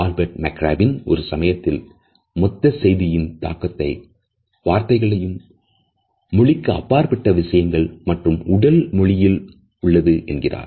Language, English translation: Tamil, Albert Mehrabian at one moment had suggested that the total impact of a message is a combination of verbal content paralanguage and body language